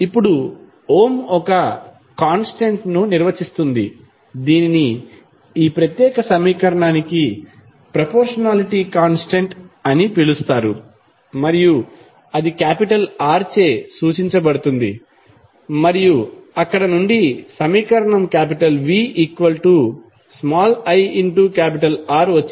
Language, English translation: Telugu, Now, Ohm define one constant, which is called proportionality constant for this particular equation and that was represented by R and from there the equation came like V is equal to R into I